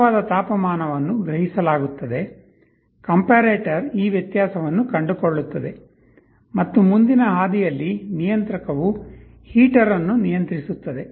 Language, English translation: Kannada, The actual temperature will be sensed, the comparator will be finding a difference, and in the forward path the controller will be controlling a heater